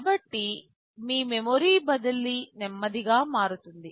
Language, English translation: Telugu, So, your memory transfer will become slower